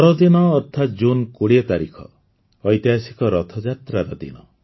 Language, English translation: Odia, the 20th of June is the day of the historical Rath Yatra